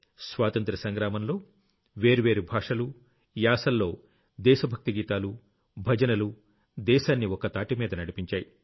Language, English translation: Telugu, During the freedom struggle patriotic songs and devotional songs in different languages, dialects had united the entire country